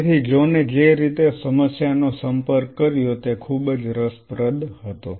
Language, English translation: Gujarati, So, the way John approached the problem was very interesting